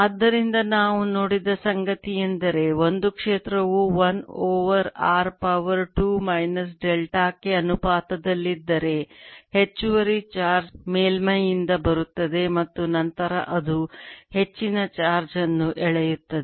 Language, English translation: Kannada, so what we have seen: if a field is proportional to one over r raise to two minus delta, the extra charge comes under surface and then it pulls more charge and therefore there is going to be opposite charge left inside